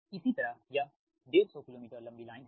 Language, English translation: Hindi, similarly it is one fifty kilo meters line long line